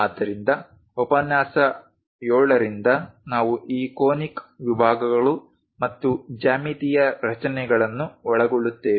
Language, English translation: Kannada, So, in lecture 7 onwards we cover these conic sections and geometrical constructions